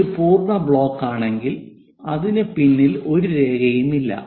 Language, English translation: Malayalam, If it is a complete block, there is no line behind that